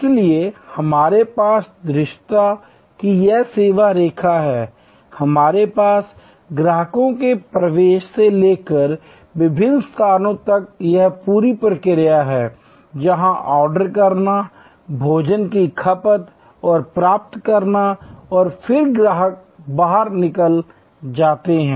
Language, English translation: Hindi, So, we have this line of visibility, we have this whole process from customers entry to the various place, where there is ordering, receiving of the food and consumption of the food and then, the customers exit